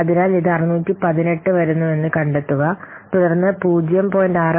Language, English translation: Malayalam, So, find out this value, it is coming 618